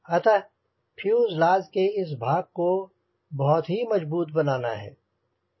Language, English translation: Hindi, so this part of the fuselage, this part, has to be highly strengthened